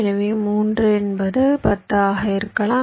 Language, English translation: Tamil, so so three, yeah, may be ten